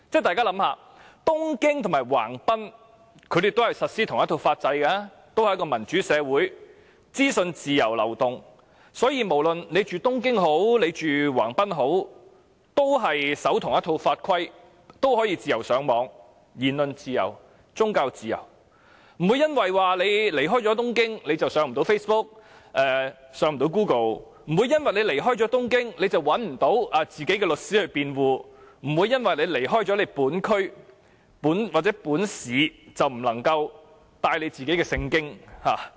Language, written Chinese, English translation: Cantonese, 大家試想想，東京和橫濱皆實施同一套法制，也是民主社會，資訊自由流動，所以無論居於東京或橫濱的市民，均遵守同一套法規，同樣可以自由上網，享受言論自由和宗教自由，不會因為離開東京而無法瀏覽 Facebook 或 Google， 亦不會因為離開東京而沒有律師替自己辯護，也不會因為離開本區或本市便不能攜帶《聖經》。, Tokyo and Yokohama both implement the same legal system and they are also democratic societies with free information flow . Therefore Tokyo and Yokohama residents all abide by the same rules and regulations and they may enjoy free access to the Internet and also freedom of speech and of religion . They will not be barred from surfing on Facebook or Google because they are outside Tokyo; they will not be barred from getting a lawyer to defend them because they are outside Tokyo; and they will not be barred from carrying the Bible because they are outside their local communities or cities